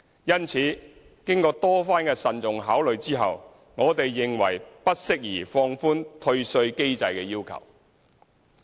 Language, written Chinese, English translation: Cantonese, 因此，經過多番慎重考慮，我們認為不適宜放寬退稅機制的要求。, Hence after careful consideration we consider it inappropriate to relax the requirements of the refund mechanism